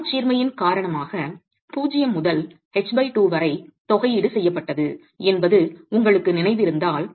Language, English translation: Tamil, If you remember the integration was done from 0 to H by 2 because of the symmetry